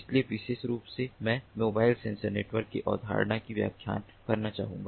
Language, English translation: Hindi, so more specifically, i would like to explain the concept of mobile sensor networks